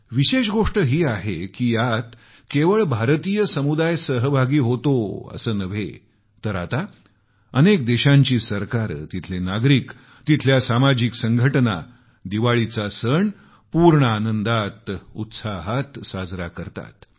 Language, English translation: Marathi, And notably, it is not limited to Indian communities; even governments, citizens and social organisations wholeheartedly celebrate Diwali with gaiety and fervour